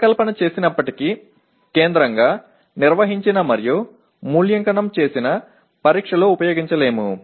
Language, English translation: Telugu, And even if designed cannot be used in a centrally conducted and evaluated examination